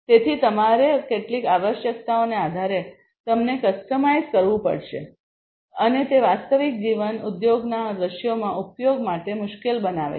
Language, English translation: Gujarati, So, you have to customize them based on certain requirements and that makes it you know difficult for use in real life industry scenarios